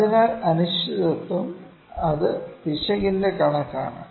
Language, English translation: Malayalam, So, uncertainty it is the estimate of the error